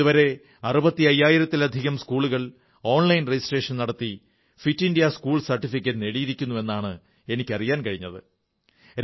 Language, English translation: Malayalam, I have been told that till date, more than 65,000 schools have obtained the 'Fit India School' certificates through online registration